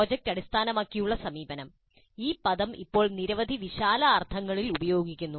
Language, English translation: Malayalam, The project based approach, this term is being used in several broad senses these days